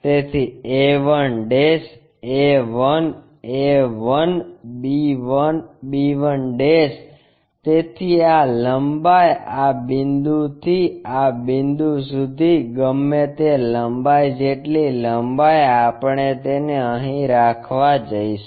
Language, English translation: Gujarati, So, a 1', a 1, a 1, b 1, b 1' so, this length whatever from this point to this point that length the same length we are going to keep it here